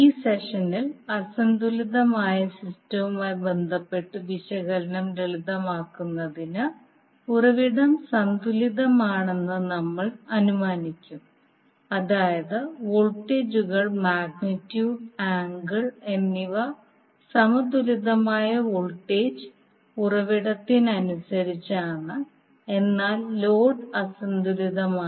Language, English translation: Malayalam, Now to simplify the analysis related to unbalanced system in this particular session we will assume that the source is balanced means the voltages, magnitude as well as angle are as per the balanced voltage source, but the load is unbalanced